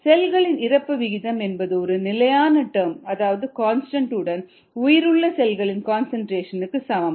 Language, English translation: Tamil, the rate of death of cells equals ah, constant times the viable cell concentration